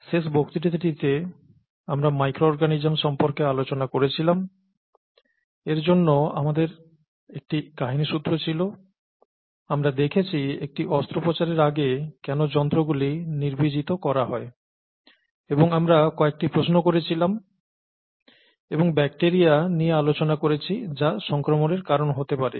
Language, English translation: Bengali, We saw in the last lecture, the micro organisms, and to see that we had a storyline, we were looking at why instruments are sterilized before a surgical procedure and we asked a few questions and we came down to bacteria which can cause infection, which is one of the things that can cause infection